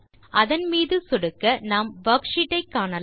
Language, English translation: Tamil, Lets click on it and we can see the worksheet